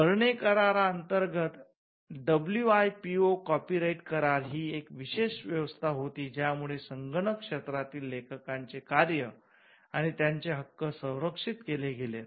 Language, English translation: Marathi, The WIPO copyright treaty was a special arrangement under the Berne convention which protected works and rights of authors in the digital environment